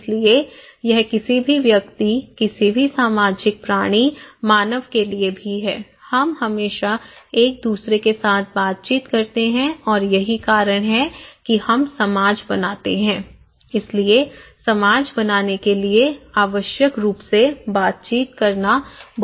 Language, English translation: Hindi, So that is also true for any individuals, any social animals, human beings, we always seek interactions with each other and thatís how we form society so, interaction is so very important to form necessary to form a society, okay